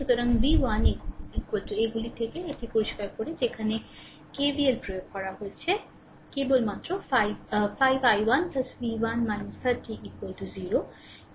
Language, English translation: Bengali, So, v 1 is equal to from these it is clear that I applied that KVL here only that is your 5 i 1 plus v 1 minus 30 is equal to 0 right